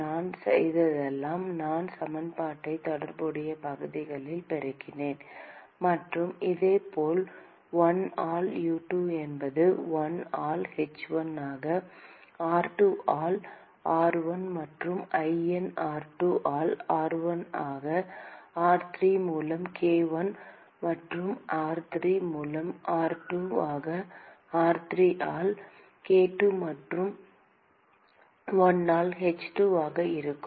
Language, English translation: Tamil, All I have done is I have just multiplied the equation by the corresponding area; and similarly 1 by U2 will be 1 by h1 into r3 by r1 plus ln r2 by r1 into r3 by k1 plus ln r3 by r2 into r3 by k2 plus 1 by h2